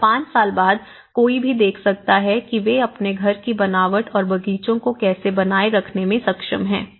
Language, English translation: Hindi, And, even after five years, one can see that you know, how they are able to maintain their gardens the fabric of the house